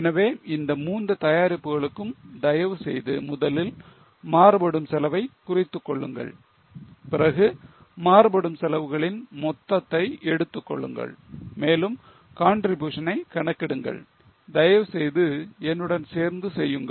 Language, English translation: Tamil, So, for all the three products, please note the variable cost first, then take the total of variable cost and try to compute the contribution